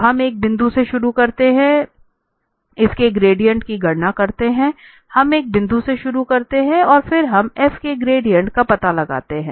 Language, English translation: Hindi, So, we start from a point, compute its gradient and go so, we start from a point and then let us say there we find out the gradient of f